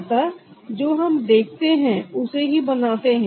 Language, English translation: Hindi, so we are producing what we see